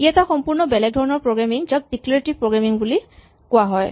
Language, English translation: Assamese, This is a completely different style of programming which is called Declarative programming and you can look it up